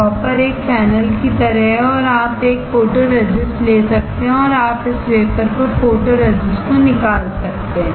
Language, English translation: Hindi, Dropper is like a fennel and you can take the photoresist and you can dispense the photoresist onto this wafer